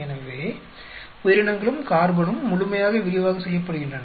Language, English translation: Tamil, So, organisms and carbon completely is done in detail